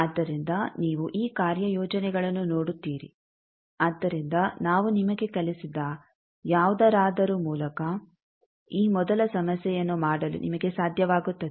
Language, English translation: Kannada, So, you see these assignments, so by whatever we have thought you will be able to do this the first problem